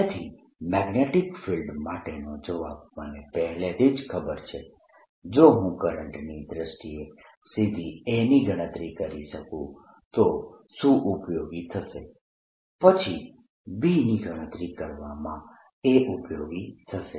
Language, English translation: Gujarati, what would be useful if i could calculate a directly in terms of the current and then a would be useful in calculating b